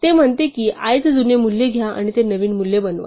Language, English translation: Marathi, It says, take the old value of i and make it the new value